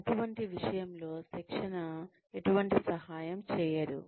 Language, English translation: Telugu, At that point, training will not help